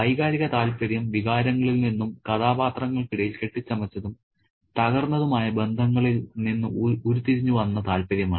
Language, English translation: Malayalam, And the emotional interest is the interest that we derive out of the sentiments and the bonds that are forged and broken between the characters